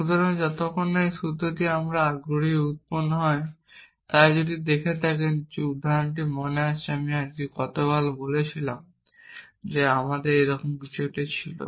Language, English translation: Bengali, So, till this formula f we are interested is generated, so if you look if you remember the example we did last time we had something like this